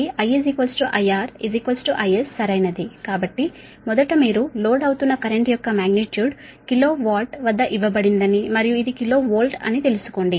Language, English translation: Telugu, so first you find out that magnitude of the current, it is load, is given at kilo watt and this is kilo volt of course